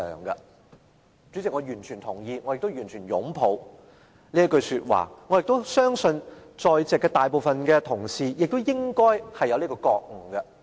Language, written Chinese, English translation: Cantonese, 代理主席，我完全同意，我亦完全擁抱這句說話，我亦相信在席大部分同事應該有這覺悟。, Deputy President I totally agree with her and I totally embrace this saying as well . I believe that most colleagues here should also be aware of this